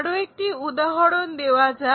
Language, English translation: Bengali, Let us take one more example